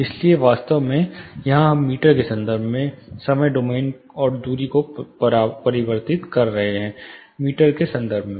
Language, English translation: Hindi, So, actually here we are converting the time domain and the distance in terms of meters, length in terms of meter